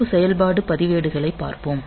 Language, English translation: Tamil, Then well look into the special function registers